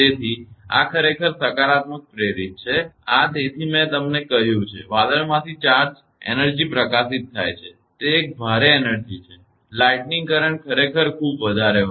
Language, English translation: Gujarati, So, this is actually induced positive in; this I have told you therefore, the charge energy from cloud is released; it is a heavy energy is lighting current is very high actually